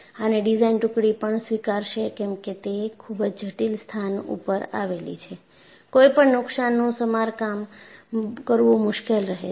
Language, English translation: Gujarati, And the design team would also accept, yes, because it is a very critical location and any damage would be difficult for you to even repair